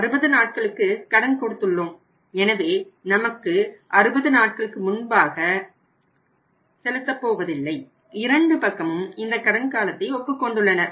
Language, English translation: Tamil, So, what is a way out they would not make the payment before 60 days because it is agreed by both the sides the credit period 60 days